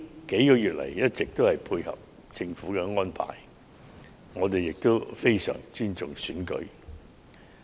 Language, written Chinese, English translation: Cantonese, 數月來，自由黨一直配合政府的安排，我們亦非常尊重選舉。, In these past months the Liberal Party has been cooperating with the Governments arrangements . We very much respect the election